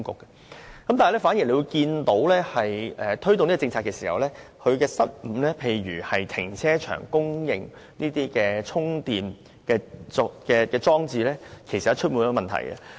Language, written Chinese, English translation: Cantonese, 然而，大家反而會看見推動這項政策時的失誤，例如在停車場供應充電裝置方面，事實上充滿問題。, So Members should also look at his other mistakes in his promotion of the policy . The provision of charging facilities in car parks for example is actually marked by many problems